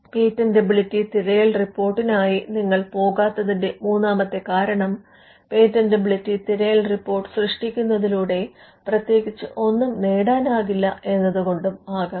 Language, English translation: Malayalam, The third reason why you would not go in for a patentability search report is, when there is nothing that will be achieved by generating a patentability search report